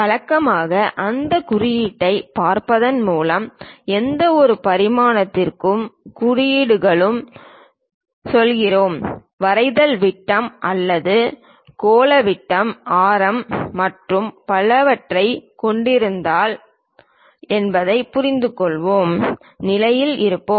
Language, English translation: Tamil, Usually we go with symbols for any kind of dimensioning by just looking at that symbol, we will be in a position to understand whether the drawing consist of diameter or spherical diameter radius and so, on